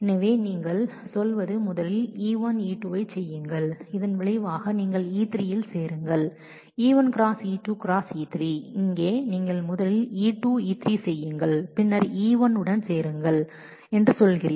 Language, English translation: Tamil, So, here what you are saying is first you do E1, E2 and with the result you join E3, here you are saying first you do E2, E3 and then you join with E1